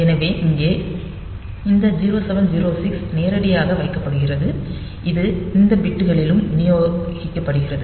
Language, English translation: Tamil, So, here this 0 7 0 6 is put directly it is distributed in these bits and these bits